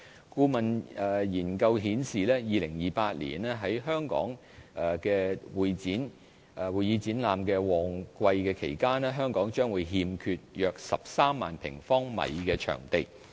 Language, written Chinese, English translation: Cantonese, 顧問研究顯示 ，2028 年於會議展覽旺季期間，香港將欠缺約13萬平方米的場地。, A consultancy study shows that there will be a shortfall of about 130 000 sq m of CE space in Hong Kong at peak periods in 2028